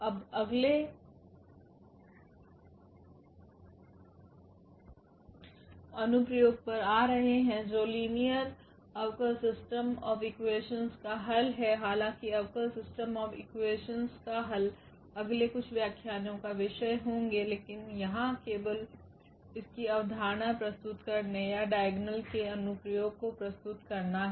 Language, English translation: Hindi, Now, coming to the next application which is the solution of the system of linear differential equations though the differential equations will be the topic of the next few lectures, but here just to introduce the idea of this or the application of this diagonalization